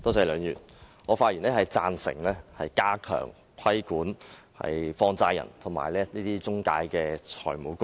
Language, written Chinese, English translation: Cantonese, 梁議員，我發言贊成加強規管放債人及財務中介公司。, Mr LEUNG I rise to speak in support of stepping up the regulation of money lenders and financial intermediaries